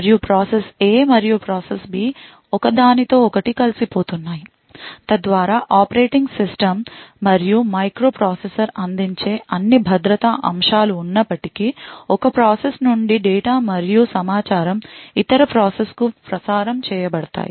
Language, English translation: Telugu, And process A and process B are colluding with each other so that data and information from one process is transmitted to the other process in spite of all the security aspects offered by the operating system as well as the microprocessor